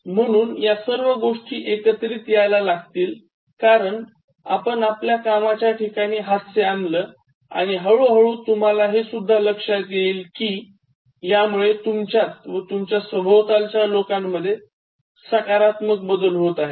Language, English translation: Marathi, So, all things are generated because you started introducing laughter in your workplace and slowly, gradually you realize that it is also making some kind of positive effect in you, and the people around you